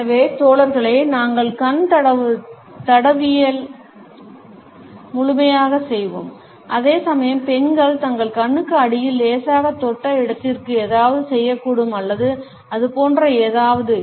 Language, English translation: Tamil, So, guys we will, we will do a full on eye rub whereas, girls might do something to where they lightly touched underneath their eye or something like that